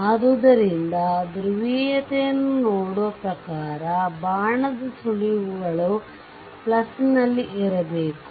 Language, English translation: Kannada, So, according to looking at the polarity that arrow tips should be at the plus